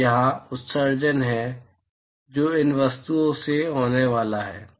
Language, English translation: Hindi, So, there is emission that is going to occur from these objects